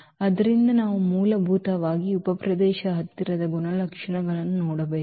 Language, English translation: Kannada, So, we have to see basically those closer properties of the subspace